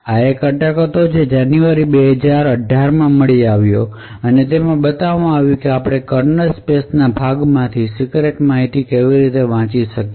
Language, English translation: Gujarati, an attack which was discovered in January 2018 and it showed how we could actually read secret data from say parts of the kernel space